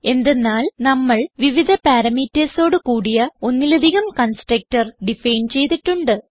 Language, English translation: Malayalam, This is simply because we have define multiple constructor with different parameters